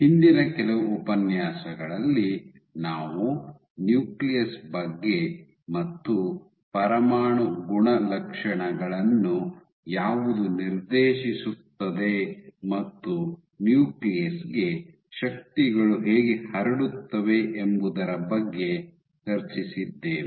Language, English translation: Kannada, So, the last few lectures have been discussing about nucleus what dictates the nuclear properties and how forces get transmitted to the nucleus